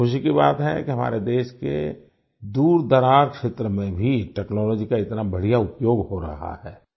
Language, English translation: Hindi, And it is a matter of joy that such a good use of technology is being made even in the farflung areas of our country